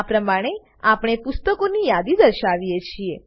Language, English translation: Gujarati, This is how we display the list of books